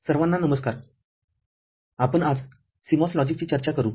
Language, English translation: Marathi, Hello everybody, we discus today CMOS Logic